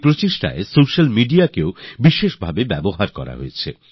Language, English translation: Bengali, In this mission, ample use was also made of the social media